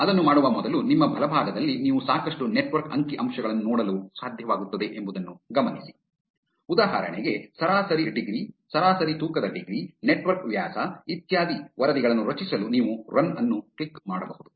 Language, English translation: Kannada, Before doing that, notice that on your right, you will be able to see a lot of network statistics, for instance, the average degree, average weighted degree, network diameter, etcetera, you can click on run to generate the reports